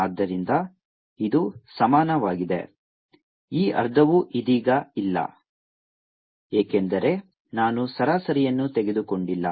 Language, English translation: Kannada, half is also not there right now because i am not taken the average half